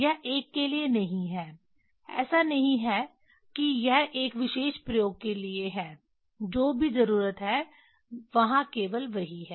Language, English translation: Hindi, It is not for a, it is not that this for a particular experiment whatever need that is only there